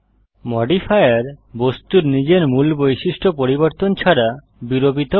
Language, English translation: Bengali, A Modifier deforms the object without changing its original properties